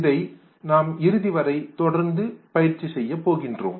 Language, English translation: Tamil, That exercise we will continue doing till the end